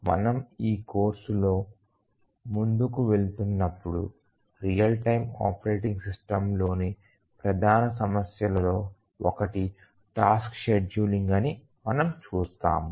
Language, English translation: Telugu, Actually as we proceed with this course we will see that one of the major issues in real time operating system is tasks scheduling